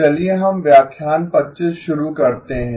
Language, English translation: Hindi, Let us begin lecture 25